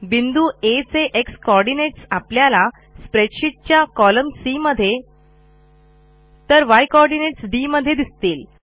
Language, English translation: Marathi, You can see that the x coordinate of point A is traced in column C of the spreadsheet and y coordinate of point A in column D